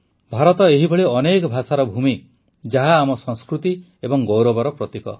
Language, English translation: Odia, India is a land of many languages, which symbolizes our culture and pride